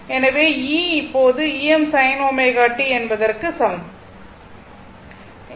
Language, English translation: Tamil, So, e is equal to E m sin omega t